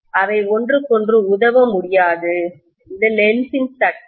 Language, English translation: Tamil, They cannot be aiding each other, Lenz’s law